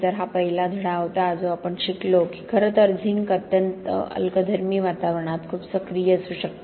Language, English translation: Marathi, So that was the first lesson that we learnt that in fact zinc could be very, very active in very highly alkaline environment